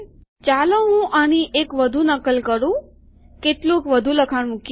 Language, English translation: Gujarati, Let me put one more copy of this, some more text